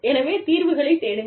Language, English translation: Tamil, So, look for solutions